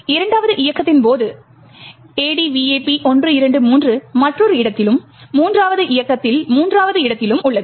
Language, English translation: Tamil, During the second run the ADVAP123 is present at another location and in the third run, third location and so on